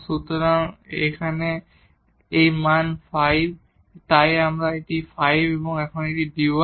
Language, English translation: Bengali, So, this value is 5 and so, here it is 5 and now d y